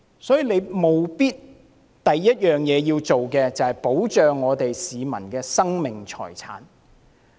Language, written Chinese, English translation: Cantonese, 所以，政府的首要任務是保障市民生命財產的安全。, Hence the first and foremost priority of the Government is to safeguard the life and property of Hong Kong citizens